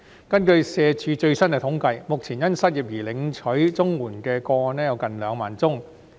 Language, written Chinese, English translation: Cantonese, 根據社會福利署的最新統計，目前因失業而領取綜援的個案有近2萬宗。, According to the latest statistics provided by the Social Welfare Department there are currently almost 20 000 CSSA unemployment cases